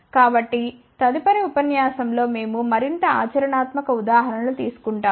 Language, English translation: Telugu, So, in the next lecture, we will take more practical examples